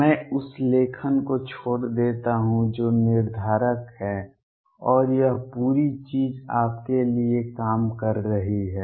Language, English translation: Hindi, I leave the writing that determinant and working this whole thing out for you